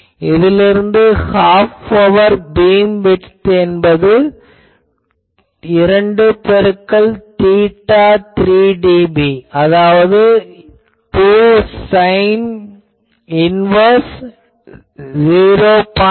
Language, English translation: Tamil, So, from there, you can now write half power beam width that will be 2 into theta three dB and that is 2 sin inverse 0